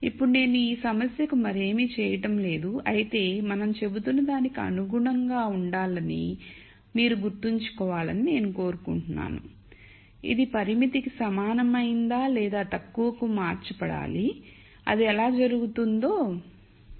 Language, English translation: Telugu, Now I am not doing anything more to this problem, but nonetheless I just want you to remember that to be consistent with whatever we have been saying this should be converted to a less than equal to constraint which we will see how that happens in the next slide